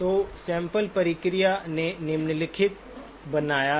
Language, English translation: Hindi, So the sampling process has created the following